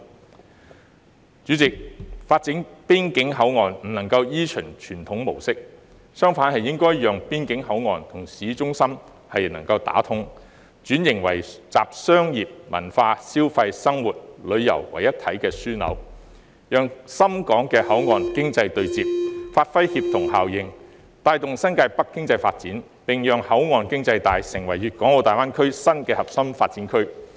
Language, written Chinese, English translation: Cantonese, 代理主席，發展邊境口岸不能夠依循傳統模式，相反應該讓邊境口岸與市中心能夠打通，並轉型為集商業、文化、消費、生活、旅遊為一體的樞紐，讓深港的口岸經濟帶對接，發揮協同效應，帶動新界北經濟發展，並讓口岸經濟帶成為粵港澳大灣區新核心發展區。, Deputy President the authorities should no longer adopt a conventional approach to port development along the boundary . Instead the port along the boundary should be linked up with the city centre and transformed into a hub integrating commerce culture consumption living and tourism so as to ensure the interface of the Shenzhen - Hong Kong port economy belt and give play to the synergy effect thereby promoting the economic development of New Territories North and allowing the port economy belt to become a new core development region in GBA